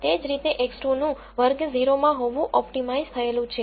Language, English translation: Gujarati, And similarly X 2 is optimized to be in class 0